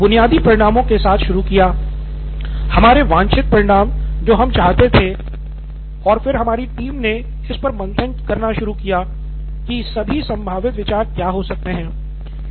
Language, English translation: Hindi, So we started with the basic results that we wanted, desired results that we wanted and then the team started brainstorming on what all possible ideas there could be